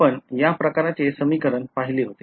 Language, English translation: Marathi, So, this equation we are familiar with